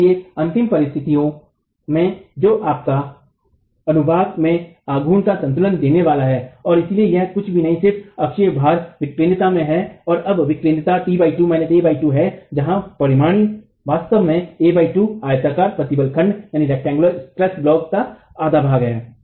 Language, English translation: Hindi, Therefore at ultimate conditions, that's what is going to give you the moment equilibrium in the section, and therefore it is nothing but the axial load into the eccentricity, and now the eccentricity is t minus a by 2, t by 2 minus a by 2 coming from where the resultant is actually sitting at A by 2, half of the rectangular stress block